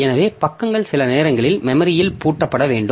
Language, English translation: Tamil, So, pages must sometimes be locked into memory